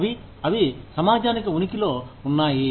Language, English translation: Telugu, They are, they exist for the community